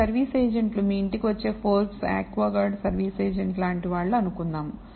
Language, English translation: Telugu, These service agents, let us say it is like Forbes aquaguard service agent that comes to your house